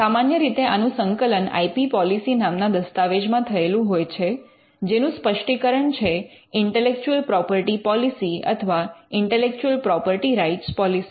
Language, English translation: Gujarati, Now, this is usually captured in a document called the IP policy, the intellectual property policy or the intellectual property rights policy